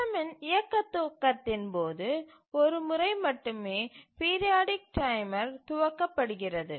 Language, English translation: Tamil, The periodic timer is start only once during the initialization of the running of the system